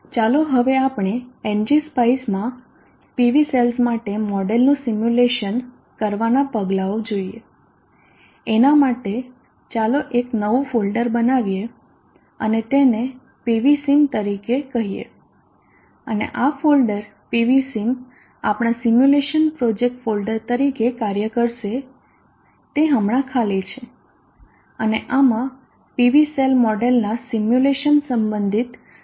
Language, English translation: Gujarati, Let us now go through the steps in simulating a model for PV cells in ng spice for that first let us create a new folder and it may call it as PV sim and this folder PV sim will act as our simulation project folder it is right now empty and into this all the files related to simulating the model of a PV cell will be placed